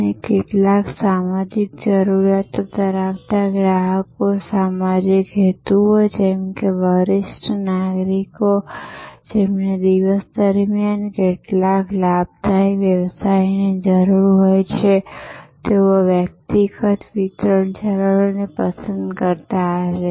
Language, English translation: Gujarati, And sometimes customers with social needs, social motives like senior citizens needing to have some gainful occupation during the day would have preferred personal delivery channels